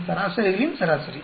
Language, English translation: Tamil, Average of all these averages